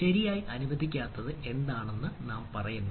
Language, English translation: Malayalam, so policy says what is what is not allowed, right